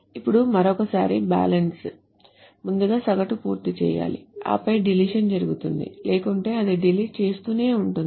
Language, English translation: Telugu, Now again, once more the balance, the average must be computed first and then the deletion happens